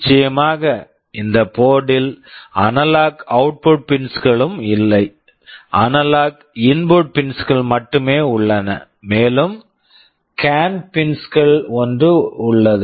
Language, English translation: Tamil, Of course in this board there are no analog output pins, only analog input pins are there and there is something called CAN pins